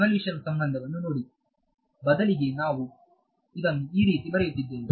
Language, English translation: Kannada, Look at the convolution relation, rather we are just writing it like this right we have been writing it like this